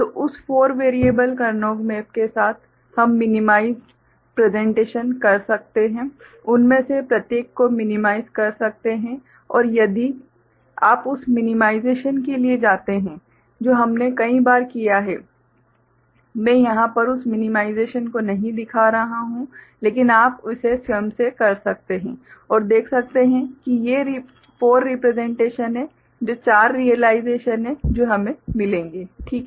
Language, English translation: Hindi, So, with that four variable Karnaugh map we can have a minimized presentation each of them individually minimized and if you go for the minimization which we have done many times before I have not shown that minimization here, but you can work it out yourself and you can see that these are the four representations the four realizations that we’ll get – clear, ok